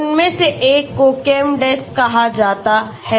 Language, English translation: Hindi, One of them is called ChemDes okay